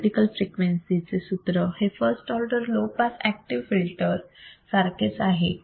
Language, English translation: Marathi, Critical frequency formula becomes similar to first order low pass active filter